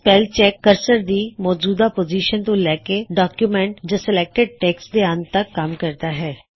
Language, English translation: Punjabi, The spellcheck starts at the current cursor position and advances to the end of the document or selection